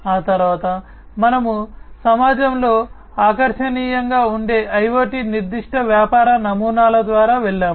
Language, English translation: Telugu, Thereafter, we have gone through the IoT specific business models that are attractive in the community